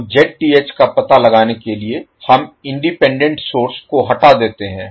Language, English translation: Hindi, So, to find the Zth we remove the independent source